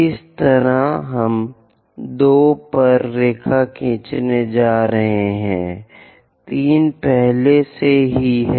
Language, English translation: Hindi, Similarly, we will draw at 2; 3 is already there